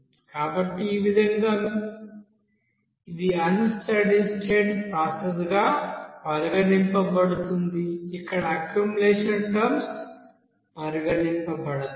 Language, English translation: Telugu, So in this way, this will be you know considered as unsteady state process where accumulation terms to be considered